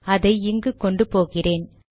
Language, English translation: Tamil, So let me bring it here